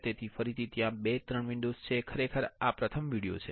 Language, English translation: Gujarati, So, again there are 2, 3 videos actually this is the first video